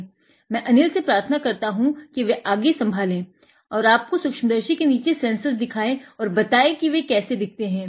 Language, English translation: Hindi, So, I will request Anil to take over and show it to you show you sensors; you show them sensors under the microscope and how they look like all right ok